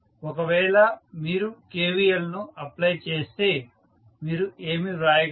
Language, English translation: Telugu, If you apply KVL what you can write